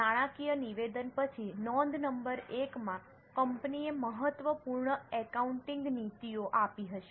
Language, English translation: Gujarati, After the financial statement in the note number one, company would have given important accounting policies